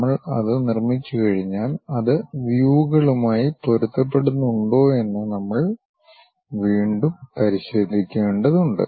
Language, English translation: Malayalam, Once we construct that, we have to re verify it whether that is matching the views